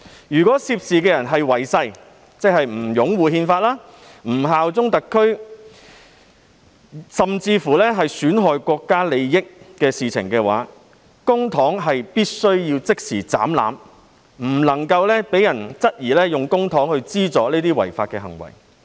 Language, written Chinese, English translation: Cantonese, 如涉事人違誓，即不擁護憲法、不效忠特區，甚至作出損害國家利益的行為，公帑便須即時"斬纜"，以免有人質疑公帑被用作資助這些違法行為。, If the person concerned is in breach of an oath who has failed to uphold the Constitution and bear allegiance to SAR or even committed acts that undermine the interests of the country the Government should cut off the provision right away so as to clear doubts about possible use of the public money to finance these illegal acts